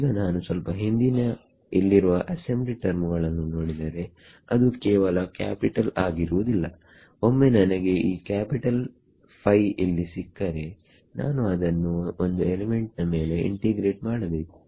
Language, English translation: Kannada, Now if I look back at the assembly term over here, it is not just capital once I get this capital phi over here I have to integrate it over an element